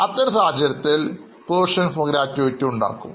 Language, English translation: Malayalam, So, in such case, we will calculate provision for gratuity